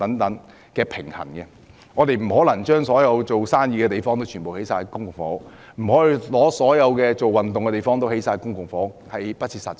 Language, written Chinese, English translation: Cantonese, 我們不可能把所有作業務或運動用途的地方，都用來興建公營房屋，這是不切實際的。, It is impossible for us to use all the land which is currently used for business or sports activities to build public housing . This is simply unrealistic